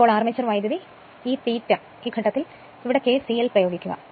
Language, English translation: Malayalam, Now armature current, this I a at this point, you apply kcl